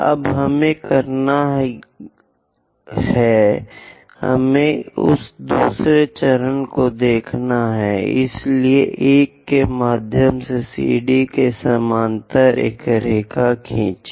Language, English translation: Hindi, Now, what we have to do is, second step, let us look at that second step is through 1, draw a line parallel to CD; so through 1, draw a line parallel to CD